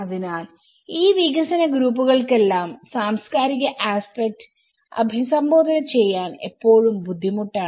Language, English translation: Malayalam, So, there is always a difficulty for all these development groups to address the cultural aspect